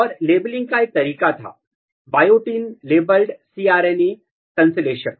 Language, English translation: Hindi, And one way of labeling was, the biotin labeled cRNA synthesis, both were basically labeled